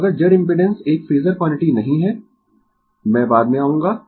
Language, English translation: Hindi, So, if Z impedance is not a phasor quantity, I will come later right